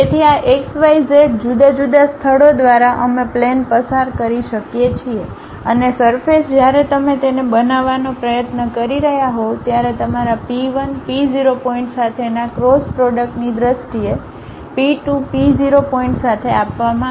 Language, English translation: Gujarati, So, through these x, y, z different kind of locations we can pass a plane and the surface normal when you are trying to construct it will be given in terms of your P 1, P0 points cross product with P 2, P0 points and their norms